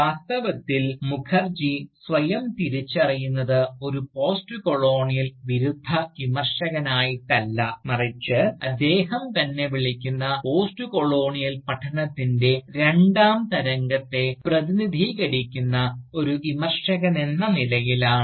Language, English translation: Malayalam, Indeed, Mukherjee identifies himself, not as an Anti Postcolonial Critic, but rather as a Critic, who represents, what he calls, the second wave of Postcolonial studies